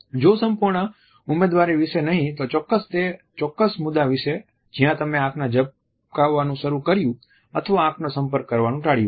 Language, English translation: Gujarati, If not about the whole candidature then definitely about that particular point where you had started blinking or avoiding the gaze